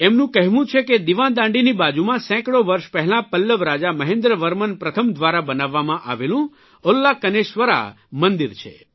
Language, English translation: Gujarati, He says that beside this light house there is the 'Ulkaneshwar' temple built hundreds of years ago by Pallava king MahendraVerman First